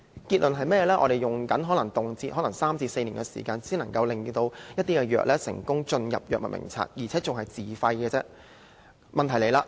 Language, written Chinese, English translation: Cantonese, 結論是甚麼，可能動輒要3至4年時間，一些藥物才能成功加入醫院管理局的藥物名冊，還只是自費的藥物而已。, The outcome is it can easily take three to four years for some new drugs to be successfully included in the Hospital Authority Drug Formulary and they are only self - financed drugs